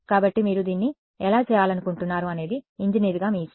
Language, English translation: Telugu, So, it is up to you as the engineer how you want to do it